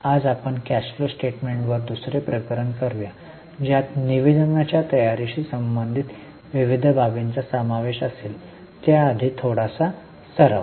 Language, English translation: Marathi, Today we will do second case on cash flow statement which will cover various aspects related to preparation of the statement